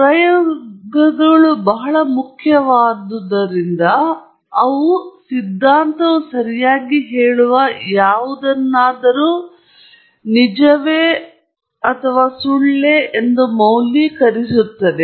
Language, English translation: Kannada, Experiments are very important because they are the ones that really validate something that the theory says right